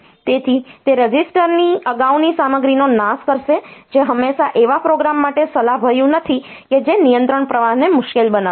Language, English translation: Gujarati, So, that will that will destroy the previous content of a register which is not always advisable for a program that will make the control flow difficult